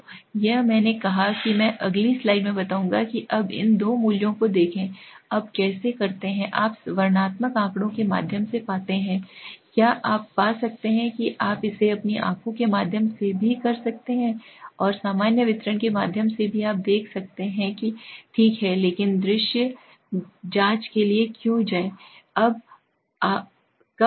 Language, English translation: Hindi, So this is what I said I would explain in the next slide now look at these two values, now how do you find through the descriptive statistics, can you find you can do it through your eyes also, and through the normal distribution you can check that is okay but why go for a visual check